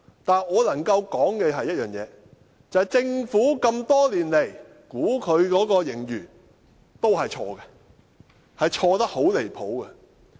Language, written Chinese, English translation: Cantonese, 但我能夠指出的一點是政府多年來的盈餘估算也是錯誤的，而且錯得很離譜。, But there has been one certainty over the years I must add namely the Governments budget surplus predictions have been wrong and wide of the mark